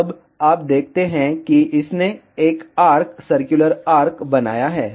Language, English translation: Hindi, Now, you see it has created a arc circular arc